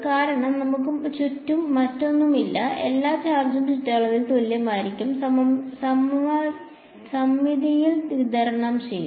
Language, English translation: Malayalam, Because, there is nothing else around, all the charge will be uniformly and symmetrically distributed about the circumference